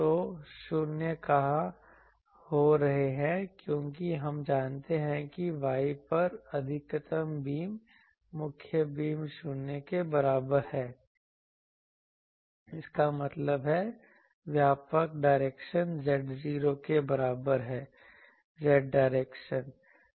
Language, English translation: Hindi, So, where are the nulls occurring because we know the main beam the maximized at Y is equal to 0; that means, in the broadside direction z is equal to 0; z direction